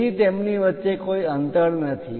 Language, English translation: Gujarati, So, there is no gap in between them